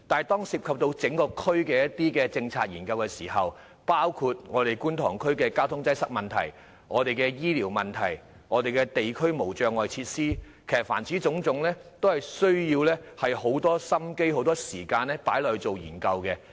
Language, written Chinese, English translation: Cantonese, 當涉及整個地區的政策研究時，有關事宜包括觀塘區的交通擠塞問題、醫療服務問題及地區無障礙設施等，各項事宜均需要很多心思和時間進行研究。, In a policy research involving the whole district the relevant subjects include the problems of traffic congestion health care services and barrier - free facilities in Kwun Tong